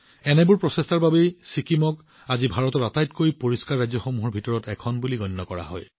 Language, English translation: Assamese, Due to such efforts, today Sikkim is counted among the cleanest states of India